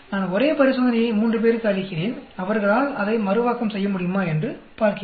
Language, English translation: Tamil, I give the same experiment to three people and see whether they are able to reproduce it